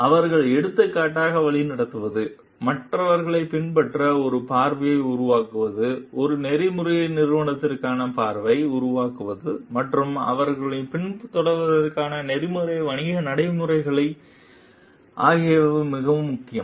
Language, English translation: Tamil, It is very important that the lead by example, they create a vision for others to follow, they create a vision for an ethical organization, ethical business practices for others to follow